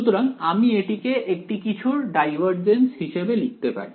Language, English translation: Bengali, So, I should try to write this as the divergence of something right